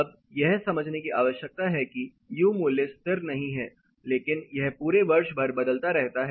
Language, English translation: Hindi, Then one needs to understand that the U value is not constant, but is it dynamic although the year